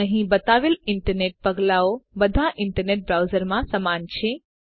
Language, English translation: Gujarati, The download steps shown here are similar in all other internet browsers